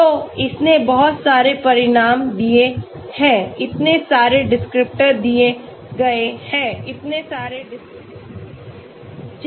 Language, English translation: Hindi, So it has given lot of results so many descriptors are given, so many descriptors